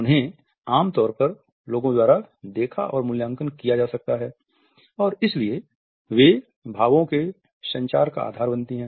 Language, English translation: Hindi, They can normally be seen and evaluated by people and therefore, they form the basis of communication